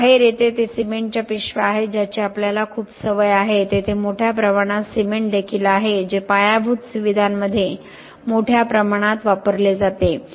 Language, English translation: Marathi, What comes out is the bags of cement that we are very much used to there is also bulk cement that is used in infrastructure a lot